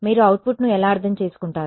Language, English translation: Telugu, How will you interpret the output